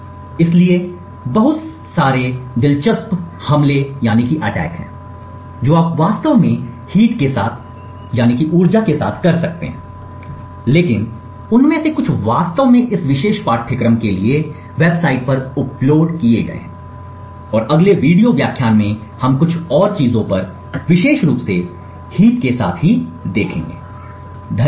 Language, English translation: Hindi, So there are a lot of interesting attacks you can actually do with the heat, but the and some of them are actually uploaded to the website for this particular course and in the next video lectures we look at some more things specifically with the heap, thank you